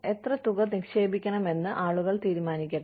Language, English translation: Malayalam, Let people decide, how much, they want to put in